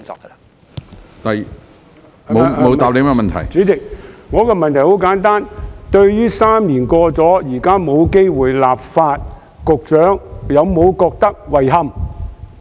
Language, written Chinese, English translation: Cantonese, 主席，我的補充質詢很簡單，對於3年過去，現在沒有機會立法，局長有否感到遺憾？, President my supplementary question is very simple . Has the Secretary found it regrettable that three years have passed but there is no time for legislation?